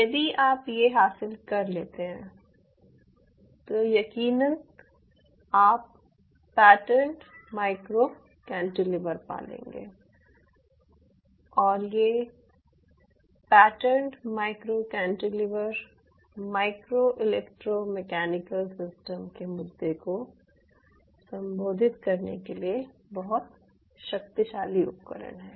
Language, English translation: Hindi, now what you are having is, ah, what we call as a pattern micro cantilever, and such pattern micro cantilever are very profoundly powerful tool to address the issue of using micro electro mechanical systems